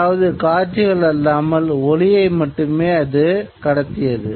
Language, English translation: Tamil, It was only transmitting sound, not visuals